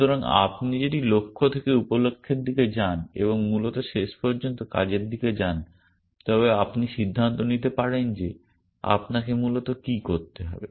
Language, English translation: Bengali, So, if you go from goals towards sub goals and essentially, eventually towards actions then you can decide what are the actions that you need to do essentially